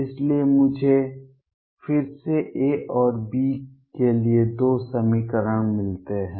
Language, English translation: Hindi, Therefore, again I get two equations for A and B